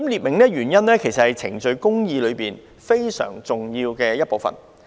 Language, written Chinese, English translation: Cantonese, 列明原因，其實是程序公義非常重要的一部分。, A clear explanation of reasons for refusal is an integral part of procedural justice